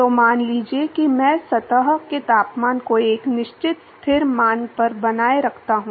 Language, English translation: Hindi, So, supposing I maintain the surface temperature at a certain constant value